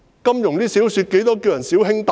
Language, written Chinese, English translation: Cantonese, 金庸小說中亦經常稱呼"小兄弟"的。, In the novels of Louis CHA the term little brother is often used for greetings